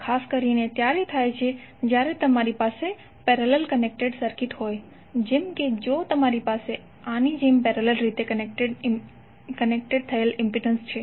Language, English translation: Gujarati, This happens specifically when you have parallel connected circuits like if you have impedance connected in parallel like this